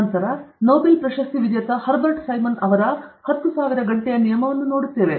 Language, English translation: Kannada, Then, we look at the 10,000 hour rule by Herbert Simon, a Nobel Laureate